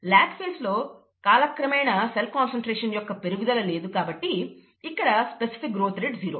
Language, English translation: Telugu, In the lag phase, there is no increase in cell concentration over time, therefore the specific growth rate is zero